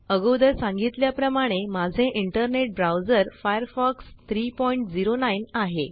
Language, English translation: Marathi, As I said before, my internet browser is Firefox 3.09